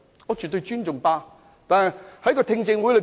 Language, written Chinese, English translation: Cantonese, 我絕對尊重大律師公會。, I absolutely respect the Bar Association